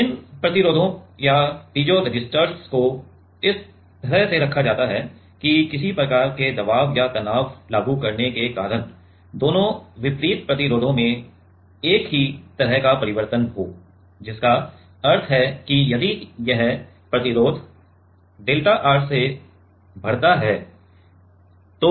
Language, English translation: Hindi, This resistances or the piezoresistors are placed in such a way that because of some kind of a pressure or applied stress both the opposite resistors will have same kind of change means that if this resistance increases by delta R, then the